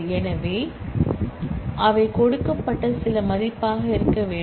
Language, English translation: Tamil, So, they will must be some value given